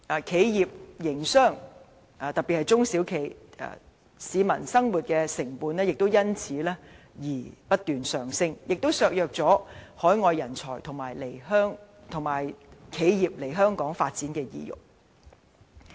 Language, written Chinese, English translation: Cantonese, 企業營商及市民生活的成本亦因而不斷上升，削弱了海外人才及企業來港發展的意欲。, Such problems further contribute to inflating cost of business operation and living discouraging overseas talents and enterprises from coming to Hong Kong